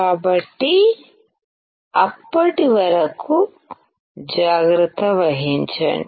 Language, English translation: Telugu, So, till then take care